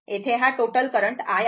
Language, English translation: Marathi, This is the total current i here, right